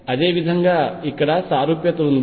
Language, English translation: Telugu, Similarly it is this symmetry out here